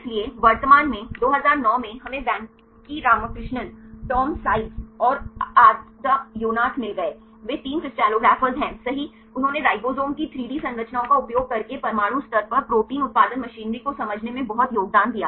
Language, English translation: Hindi, So, currently 2009, we got the Venki Ramakrishnan, Tom Seitz and Ada Yonath right they are three crystallographers right, they enormously contributed to understand the protein production machinery right at the atomic level using the 3D structures of ribosomes right